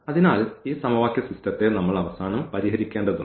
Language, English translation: Malayalam, So, we need to solve finally, this system of equations